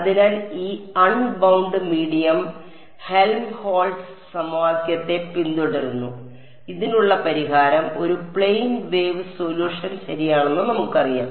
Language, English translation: Malayalam, So, this unbound medium follows the Helmholtz equation right and we know that the solution to this is a plane wave solution right